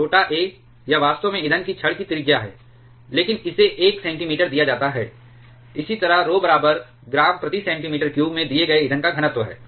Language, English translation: Hindi, Small a, this one is actually the radius of the fuel rod, but it is given a centimeter similarly rho bar is the density of the fuel given in gram per centimeter cube